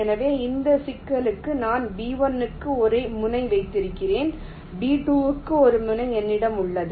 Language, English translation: Tamil, so for this problem, let say i have a vertex for b one, i have a vertex for b two